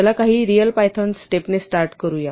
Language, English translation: Marathi, Let us start with some real python step